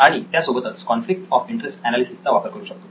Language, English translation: Marathi, Okay, so that was conflict of interest analysis